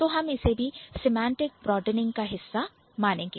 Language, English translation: Hindi, Then there is something called semantic broadening